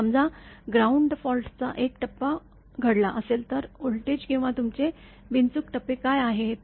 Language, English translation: Marathi, So, suppose a phase to ground fault has happened then what are the voltages or your un faulted phases